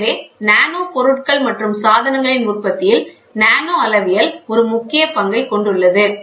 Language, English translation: Tamil, So, nanometrology has a crucial role in the production of nanomaterials and devices with a high degree of accuracy and repeatability